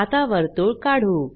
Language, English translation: Marathi, Draw a circle